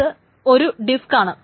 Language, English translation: Malayalam, It's just one disk